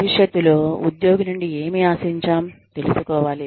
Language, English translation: Telugu, Employee should know, what is expected, in future